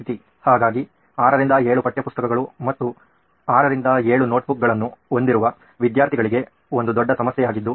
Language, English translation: Kannada, So we feel that is a huge problem there for a student who is carrying like 6 to 7 text books plus 6 to 7 notebooks in one bag that’s another problem we have identified